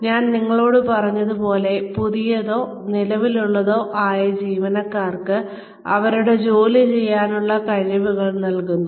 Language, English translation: Malayalam, Like I told you, it means, giving new or current employees the skills, they need to perform their jobs